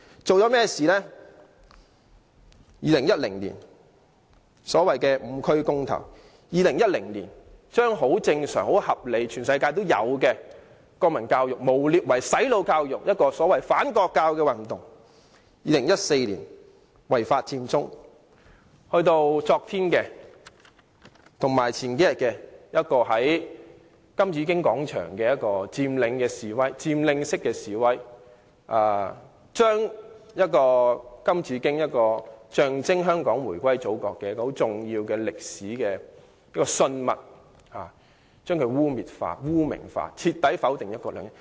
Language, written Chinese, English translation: Cantonese, 在2010年，進行所謂"五區公投"；在2010年，把正常、合理、全世界都有的國民教育誣衊為"洗腦"教育，進行所謂反國教運動；在2014年，違法佔中；在數天前以至昨天，在金紫荊廣場進行佔領式示威，把象徵香港回歸祖國的重要歷史信物金紫荊雕塑污衊化、污名化，徹底否定"一國兩制"。, In 2010 they accused national education a normal and reasonable education provided in all countries slanderously as brainwashing education and launched the so - called anti - national education movement . In 2014 they staged the illegal Occupy Central . From a few days ago till yesterday they held a protest by occupying the Golden Bauhinia Square